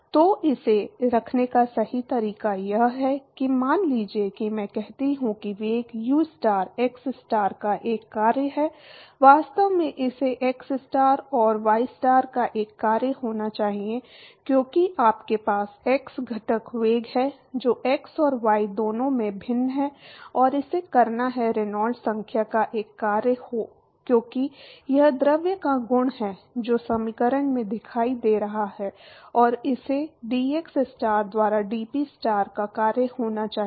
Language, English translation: Hindi, So, right way to put that is suppose I say that the velocity ustar is a function of xstar actually it has to be a function of xstar and ystar, because you have x component velocity which is varying in both x and y and it has to be a function of the Reynolds number, because that is the property of the fluid which is appearing in the equation and it has to be a function of dPstar by dxstar